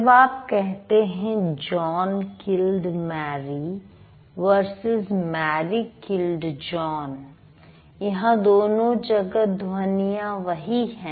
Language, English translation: Hindi, So, when you say John killed Mary versus Mary killed John, the sounds are same, right